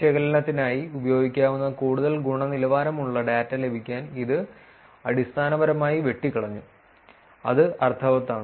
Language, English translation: Malayalam, And this was basically pruned to get more quality data which can be used for analysis, is that making sense